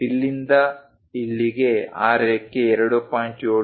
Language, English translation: Kannada, From here to here that line is 2